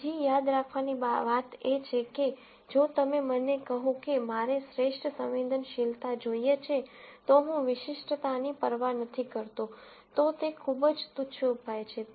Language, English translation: Gujarati, Another thing to remember is, if you told me that I want the best sensitivity, I do not care about specificity, then that is a very trivial solution